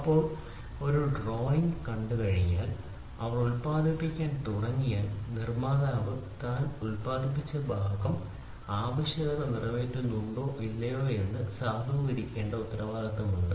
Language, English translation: Malayalam, So, now once they see a drawing and once they start producing then it is a responsibility of the manufacturer to validate his produced part whether it meets to the requirement or not